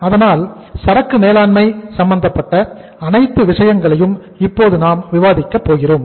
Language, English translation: Tamil, So we are in the process of discussing all this relevance of managing inventory